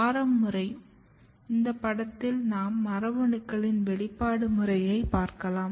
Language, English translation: Tamil, So, if you look this picture this is the expression pattern of the genes